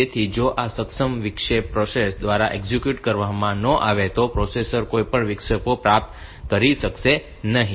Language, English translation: Gujarati, So, if this enable interrupt is not executed by the processor then the processor will not be able to receive any of the interrupts